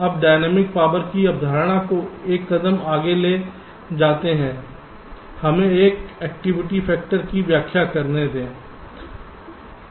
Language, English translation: Hindi, ok now, taking the concept of dynamic power one step forward, let us define something called an activity factor